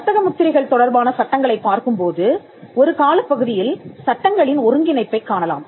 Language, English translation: Tamil, If we look at the laws pertaining to trademarks, we can see a consolidation of laws happening over a period of time